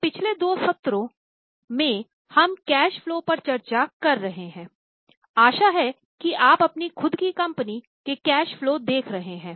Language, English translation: Hindi, So, for last two sessions we have discussed cash flow, I hope you have seen, you have started reading the cash flow of your own company